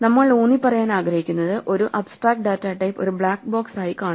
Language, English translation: Malayalam, So, what we would like to emphasize is that an abstract data type should be seen as a black box